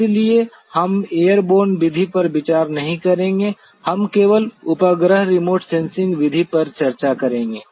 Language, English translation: Hindi, So, we will not be considering the airborne method will be only discussing the satellite remote sensing method